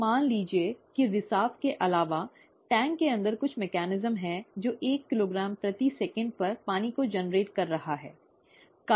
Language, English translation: Hindi, Now suppose that in addition to the leak, there is some mechanism inside the tank itself that is generating water at one kilogram per second, okay